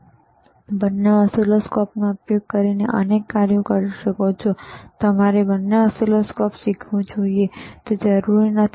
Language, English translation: Gujarati, Of course, you can perform several functions using both the oscilloscope, and it is not necessary that you should learn both oscilloscopes